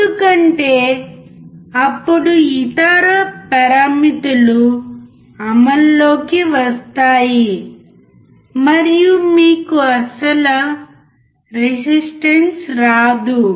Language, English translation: Telugu, Because then other parameters will come into effect, and you will not get the actual resistance